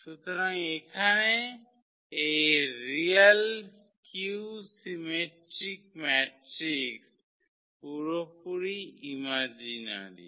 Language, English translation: Bengali, So, here this real a skew symmetric matrix are purely imaginary